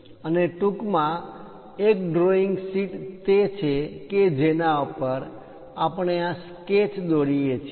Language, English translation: Gujarati, And to summarize, a drawing sheet is the one on which we draw these sketches